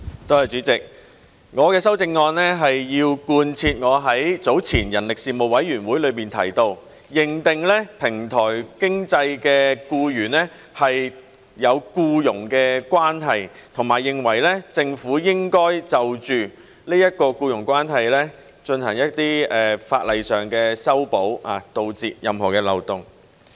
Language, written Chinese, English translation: Cantonese, 主席，我的修正案是要貫徹我早前在人力事務委員會裏提到，應該認定平台經濟的僱員是有僱傭關係，以及認為政府應該就這種僱傭關係作一些法例修訂，以堵塞任何漏洞。, President my amendment is intended as a follow - through on my earlier proposal at the Panel on Manpower the proposal of affirming the presence of an employment relationship for employees under the platform economy and also on my view that the Government should introduce legislative amendments for this employment relationship in order to plug the loopholes